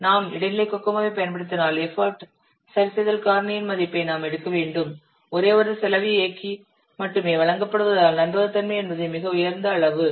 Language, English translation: Tamil, And if we'll apply intermediate Kokomo, I have to take the value of the effort adjustment factor, since only one cost effort is given that is reliability, which is equal to 1